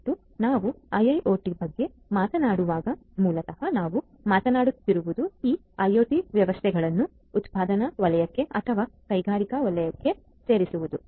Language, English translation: Kannada, And when we talk about IIoT, basically what we are talking about is the incorporation of these IoT systems into the manufacturing sector or the industrial sector